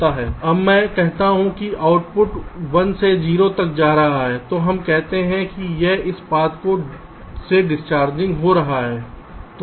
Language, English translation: Hindi, now, when i say that the output is going from one to zero, we say that it is discharging via this path